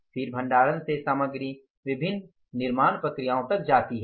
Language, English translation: Hindi, Then from the storage the material goes up to the different manufacturing processes